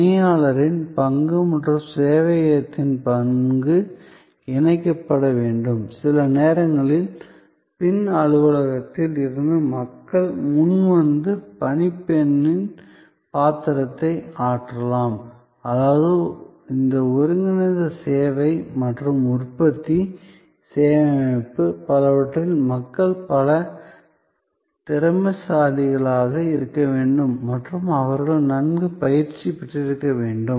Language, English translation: Tamil, The role of the steward and the role of the server may have to be merged, sometimes the people from the back office may come forward and perform the role of the steward, which means that in many of this integrated service and production, servuction system, people will have to be, the service people will have to be multi skilled and they have to be well trained